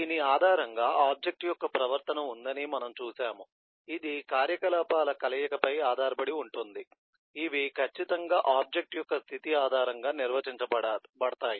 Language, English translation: Telugu, we have also seen that, based on this eh, there is a behavior which is based on the combination of operations which certainly are defined based on the state of an object